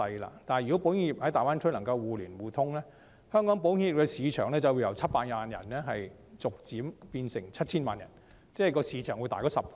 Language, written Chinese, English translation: Cantonese, 如果保險業能夠在大灣區互連互通，香港保險業的市場就會由700萬人逐漸變成 7,000 萬人，市場會增大10倍。, If the insurance industry can enjoy interconnectivity within the Greater Bay Area the market for Hong Kong will gradually grow from 7 million to 70 million people corresponding to a tenfold increase